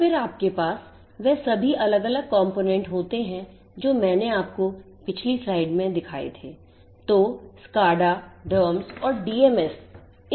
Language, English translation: Hindi, And then you have on the other side you have all these different components like the ones that I had shown you in the previous slide